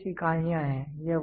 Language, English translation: Hindi, So, these are some of the units